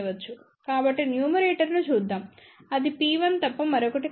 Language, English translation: Telugu, So, let us look at the numerator it is nothing but P 1